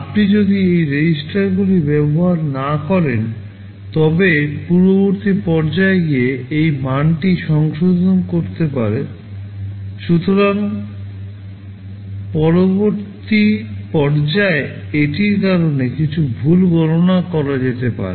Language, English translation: Bengali, If you do not use this registers, then the previous stage can go and modify this value, so the next stage might carry out some wrong computation because of that